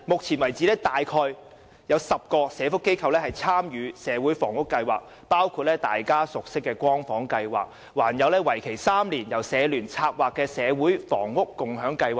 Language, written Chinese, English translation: Cantonese, 此外，至今已有約10個社福機構參與社會房屋計劃，包括大家熟悉的"光房"計劃，還有由社聯策劃為期3年的社會房屋共享計劃。, Furthermore so far about 10 welfare organizations have taken part in the social housing programme which include the Light Housing project that we are familiar with and the three - year Community Housing Movement initiated by the Hong Kong Council of Social Service HKCSS